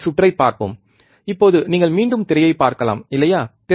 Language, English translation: Tamil, So, let us see the circuit, now you can see the screen again, right